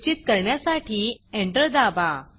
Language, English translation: Marathi, Press Enter to confirm